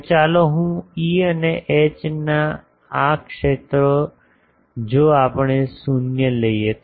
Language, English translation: Gujarati, So, let me draw that E and H these fields if we take to be 0